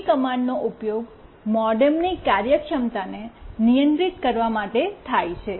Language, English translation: Gujarati, AT commands are used to control the MODEM’s functionality